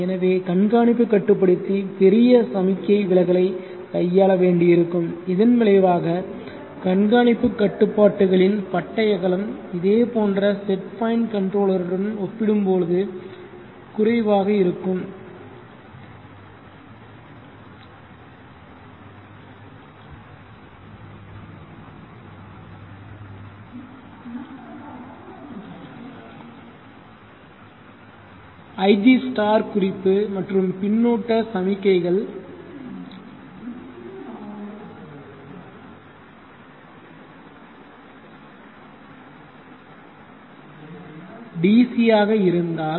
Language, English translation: Tamil, And therefore the tracking controller will have to handle large signal deviations, as the consequences the bandwidth of tracking controller will be lower compare to as similar set point controller, if ig* and feedback signals have DC